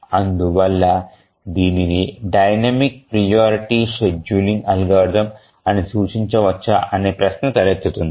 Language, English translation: Telugu, So how do we really call it as a dynamic priority scheduling algorithm